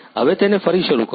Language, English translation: Gujarati, Now restart it